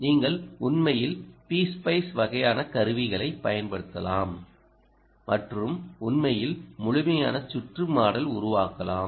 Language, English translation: Tamil, you can actually use p spice, ah, ah kind of tools and actually model the complete circuit